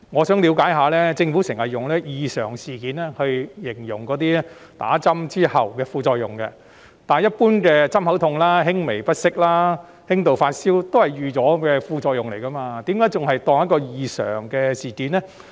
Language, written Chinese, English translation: Cantonese, 政府經常用上"異常事件"形容注射疫苗後的副作用，但一般針口痛、輕微不適、輕度發燒皆是預期之內的副作用，為何政府會當作是異常事件呢？, The Government often uses adverse events to describe the side effects of vaccination . But pain at the injection site mild discomfort and mild fever as we commonly see are some expected side effects . Why does the Government categorize them as adverse events?